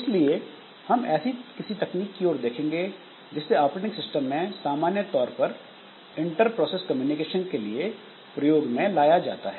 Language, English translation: Hindi, So, we'll be looking into some such techniques followed in general operating systems, this inter process communication